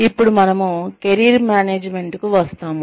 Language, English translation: Telugu, Then, we come to Career Management